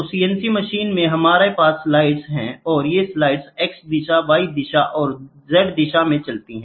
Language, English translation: Hindi, So, in CNC machines we have slides, and these slides move in x direction, y direction and z direction